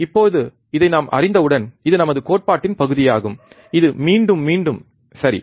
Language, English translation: Tamil, Now, once we know this which is our theory part which we have kind of repeated, right